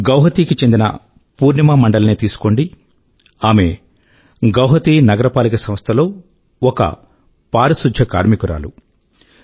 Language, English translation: Telugu, Now take the example of Purnima Mandal of Guwahati, a sanitation worker in Guwahati Municipal Corporation